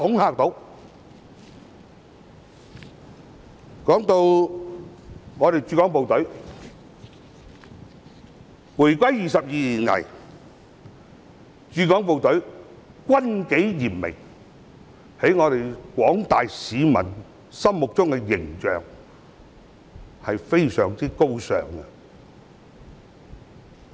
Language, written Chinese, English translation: Cantonese, 談到駐港部隊，回歸22年以來，駐港部隊軍紀嚴明，在廣大市民心目中的形象是非常高尚的。, Speaking of the Hong Kong Garrison it is so well disciplined during the past 22 years after the reunification that a highly respectable image has been established in the mind of the public at large